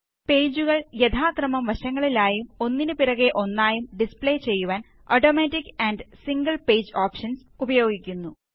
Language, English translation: Malayalam, It has options like Automatic and Single page for displaying pages side by side and beneath each other respectively